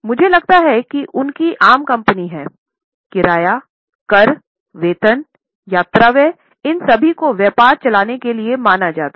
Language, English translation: Hindi, I think they are common for any company, rent, taxes, salaries, travelling expenses, all of them are considered as for running of business